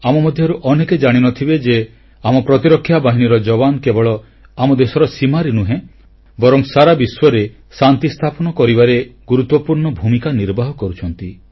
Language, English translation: Odia, Many of us may not be aware that the jawans of our security forces play an important role not only on our borders but they play a very vital role in establishing peace the world over